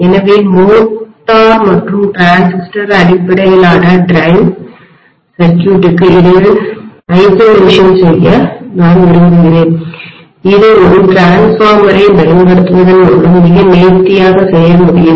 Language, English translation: Tamil, So I might like to have the isolation between the motor and the transistor based drive circuit that can be done very nicely by using a transformer